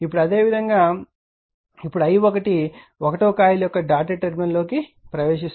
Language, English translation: Telugu, Now, similarly now that is I that is i1 enters the dotted terminal of coil 1